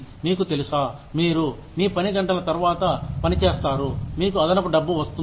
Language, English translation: Telugu, You will work over, you know, after hours, you get extra money